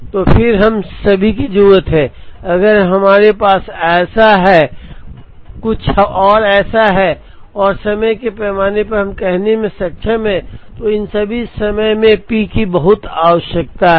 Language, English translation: Hindi, So then all we need is, if we have something like this and on a time scale we are able to say, so much of P required it in all these times